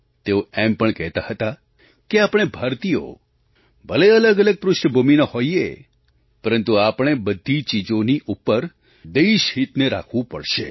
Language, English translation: Gujarati, He also used to say that we, Indians may be from different background but, yes, we shall have to keep the national interest above all the other things